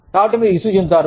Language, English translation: Telugu, So, you feel frustrated